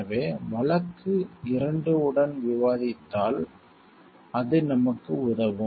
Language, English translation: Tamil, So, it will help us if we discuss with the case 2